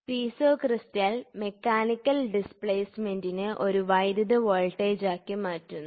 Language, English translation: Malayalam, Piezo crystal converts the mechanical displacement into an electrical voltage